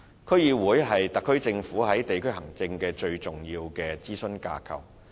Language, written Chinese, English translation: Cantonese, 區議會是特區政府在地區行政的最重要諮詢架構。, DCs are the most important consultative framework of the SAR Government in district administration